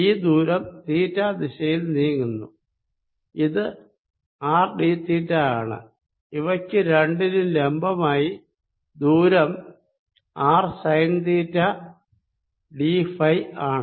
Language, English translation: Malayalam, this distance is moving in theta direction, is r d theta, and the distance perpendicular to both is going to be r sine theta d phi